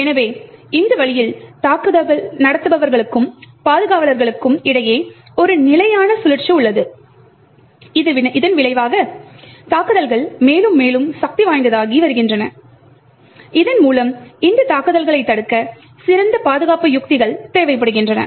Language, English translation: Tamil, So, in this way there is a constant cycle between the attackers and defenders and as a result the attacks are getting more and more powerful and thereby better defend strategies are required to prevent these attacks